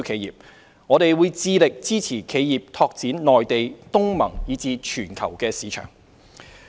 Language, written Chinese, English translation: Cantonese, 此外，我們會致力支持企業拓展內地、東盟，以至全球的市場。, Moreover we will also support enterprises in expanding the Mainland ASEAN and global markets